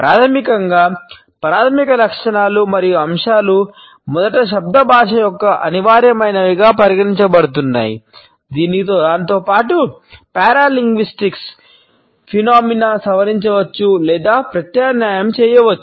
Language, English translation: Telugu, Basically primary qualities and elements that while being first considered as indispensable constitutes of verbal language may also modified or alternate with it as paralinguistic phenomena